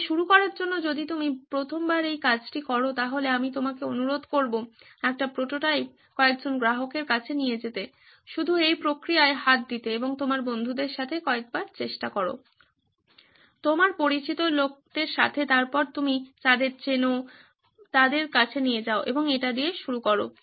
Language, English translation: Bengali, So to begin if you are doing this for the first time I would urge you to make one prototype take it to a few customers just to get your hands on with this process and try it a few times with your friends, with people you know then go on to people you do not know and get on started with it